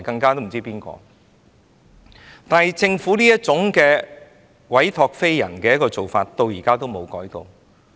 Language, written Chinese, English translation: Cantonese, 但是，政府這種所託非人的做法，到現在也沒有改變。, The Governments approach of putting HA into wrong hands however has not changed hitherto